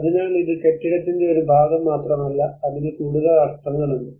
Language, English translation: Malayalam, So it is not just a part of the building there is more meanings to it